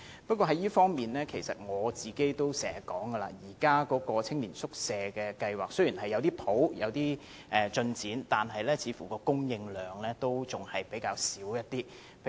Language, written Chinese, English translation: Cantonese, 不過，在這方面，正如我也經常說，現時的青年宿舍計劃雖然也有少許進展，但供應量似乎仍然較少。, But in this regard as I always said despite some slight improvement in the Youth Hostel Scheme the supply seems to remain on the low side